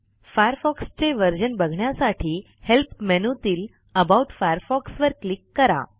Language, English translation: Marathi, To know which version of Mozilla Firefox you are using, click on Help and About Firefox